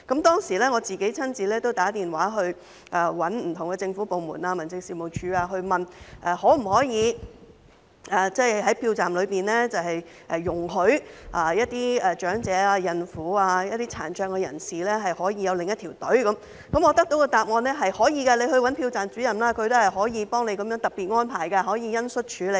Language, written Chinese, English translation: Cantonese, 當時我親自致電不同的政府部門和民政事務處，詢問可否在投票站內容許長者、孕婦和殘障人士輪候另一條隊伍，我得到的答案是可以的，投票站主任可以幫助作出特別安排，可以恩恤處理。, At that time I personally called various government departments and District Offices to ask if the elderly pregnant women and persons with disabilities could be allowed to wait in a separate queue at the polling station . The answer I received was in the positive . The Presiding Officer could help to make special arrangements on compassionate grounds